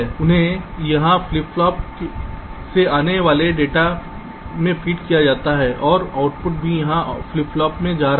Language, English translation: Hindi, ok, these are fed from some data coming from flip flops here and the output is also going in the flip flop